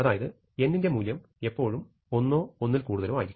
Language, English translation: Malayalam, So, we are always having in mind the situation that, n is bigger than or equal to 1